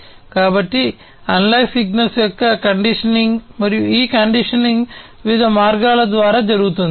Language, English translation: Telugu, So, conditioning of the analog signals and this conditioning is done through different means